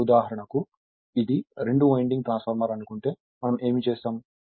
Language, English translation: Telugu, Now for example, if I want it is a two winding transformer, then what I will what we will do